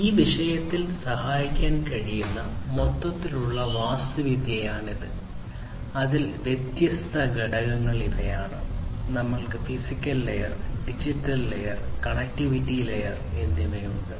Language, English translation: Malayalam, So, this is the overall architecture that can help in this thing and these are the different components in it; we have the physical layer, we have the digital layer and we have the connectivity layer